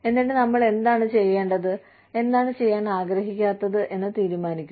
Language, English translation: Malayalam, And, then decide, what we want to do, and what we do not want to do